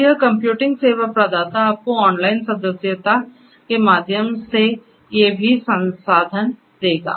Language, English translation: Hindi, So, this computing service provider will give you all these resources through online subscription